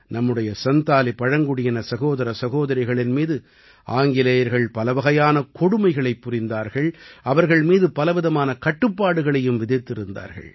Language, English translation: Tamil, The British had committed many atrocities on our Santhal brothers and sisters, and had also imposed many types of restrictions on them